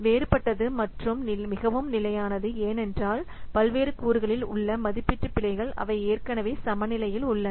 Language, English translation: Tamil, So different, it is very much stable because the estimation errors in the various components, they are already balanced